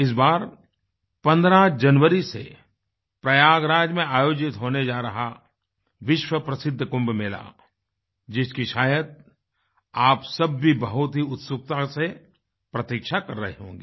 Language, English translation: Hindi, This time the world famous Kumbh Mela is going to be held in Prayagraj from January 15, and many of you might be waiting eagerly for it to take place